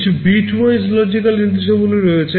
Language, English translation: Bengali, There are some bitwise logical instructions